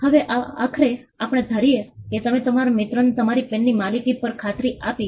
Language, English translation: Gujarati, Now, eventually let us assume that, you convinced your friend on the ownership of your pen